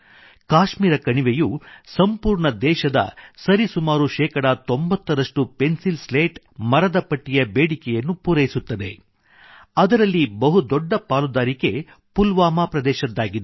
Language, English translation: Kannada, The Kashmir Valley meets almost 90% demand for the Pencil Slats, timber casings of the entire country, and of that, a very large share comes from Pulwama